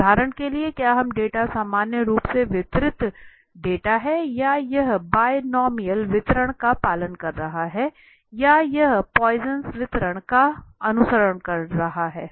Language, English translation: Hindi, For example, is this data normally distributed data or it is following a binomial distribution right or is it following a Poisson distribution